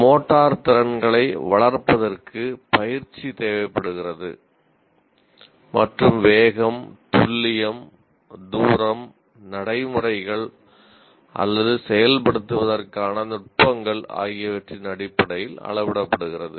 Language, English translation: Tamil, And development of motor skills requires practice and is measured in terms of speed, precision, distance, procedures, for example, grays are techniques in execution